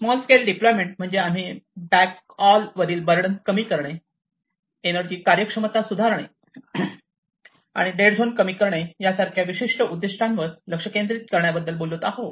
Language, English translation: Marathi, Small scale deployment here we are talking about addressing different objectives such as alleviating burden on the backhaul, improving energy efficiency and decreasing the dead zones